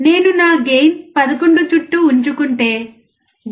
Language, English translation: Telugu, If I keep my gain around 11, then 0